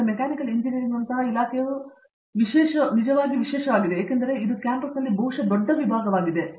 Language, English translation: Kannada, Now, this is particularly true of a Department like Mechanical Engineering because, it is a probably the biggest department on campus